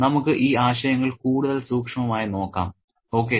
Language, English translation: Malayalam, And let's look at these concepts more closely